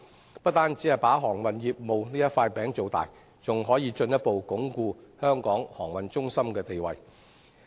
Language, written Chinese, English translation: Cantonese, 這不但有助造大航運業務這塊餅，亦可進一步鞏固香港航運中心的地位。, This will not only help make the pie of maritime business bigger but will also reinforce Hong Kongs status as a maritime centre